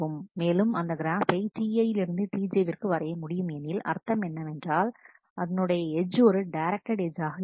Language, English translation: Tamil, And we will draw an graph from T I to T j, that is my graph means there will be an edge is a directed edge